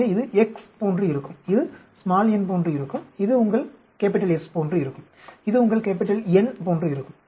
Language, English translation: Tamil, So, this will be like x, this will be like n, this will be like your S, and this will be like your N